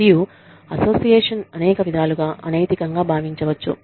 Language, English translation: Telugu, And, the association can be perceived as unethical, in many ways